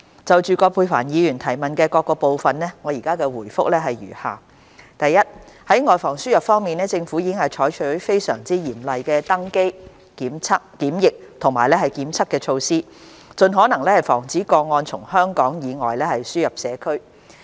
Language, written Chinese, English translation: Cantonese, 就葛珮帆議員質詢的各部分，我現答覆如下：一在"外防輸入"方面，政府已採取非常嚴謹的登機、檢疫及檢測措施，盡可能防止個案從香港以外輸入社區。, My reply to the various parts of the question raised by Ms Elizabeth QUAT is as follows 1 On guarding against the importation of cases the Government has adopted very stringent boarding quarantine and testing measures to prevent as far as possible the importation of cases into the community from outside of Hong Kong